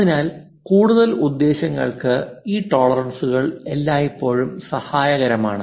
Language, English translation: Malayalam, So, further purpose these tolerances are always be helpful